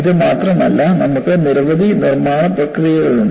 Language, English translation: Malayalam, Not only this, you have several manufacturing processes